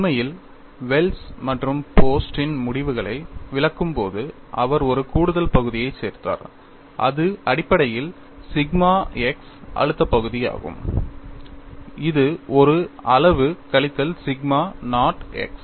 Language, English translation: Tamil, In fact, while interpreting the results of Wells and Post, he added an extra term and this is to essentially the sigma x stress term quantity minus sigma naught x